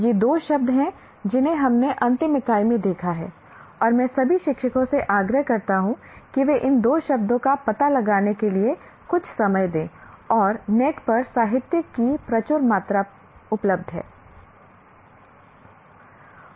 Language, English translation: Hindi, These are the two words that we have looked at in the last unit and I strongly urge all teachers to spend some time explore on their own these two words and there is a tremendous amount of literature available on the net